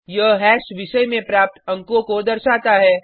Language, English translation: Hindi, This hash indicates the marks obtained in a subject